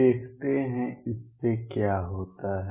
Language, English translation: Hindi, Let us see; what does that lead to